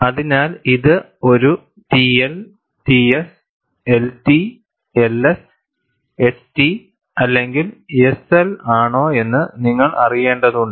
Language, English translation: Malayalam, So, you will have to know, whether it is a TL, TS, LT, LS, ST or SL